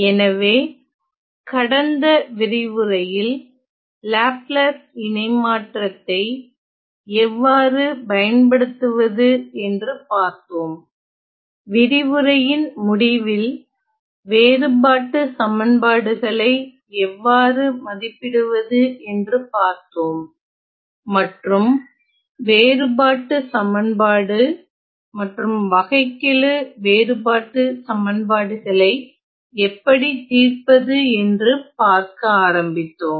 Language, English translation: Tamil, So, in the last lecture we saw how to use Laplace transform and say in the towards the end of the last lecture we saw, how to evaluate certain difference of functions and we were starting to solve certain difference equations and differential difference equations